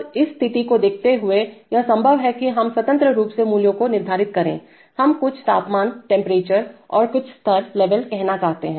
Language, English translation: Hindi, Then given this situation is it possible to independently set values for, let us say, some temperature and some level